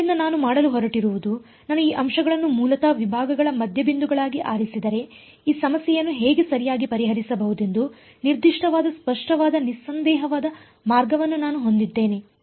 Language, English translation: Kannada, So, what I am going to do is if I choose these points basically to be the midpoints of the segments, then I have a very clear unambiguous way of specifying how to solve this problem right